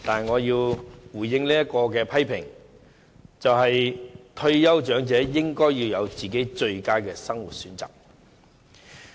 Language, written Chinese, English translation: Cantonese, 我只是希望退休長者能享有最佳的生活選擇。, I merely hope that elderly retirees can have the best option for their lives